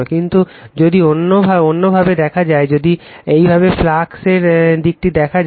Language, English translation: Bengali, But, if you see in other way, if you can see direction of the flux is like this